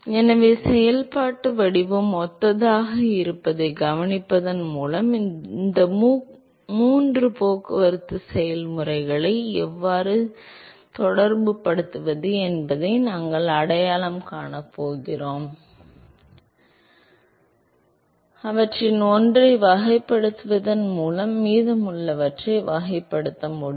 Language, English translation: Tamil, So, we are going to capitalize on this observation that the functional form is similar and we are going to identify how to relate these three transport processes and therefore, by characterizing one of them we should be able to characterize the remaining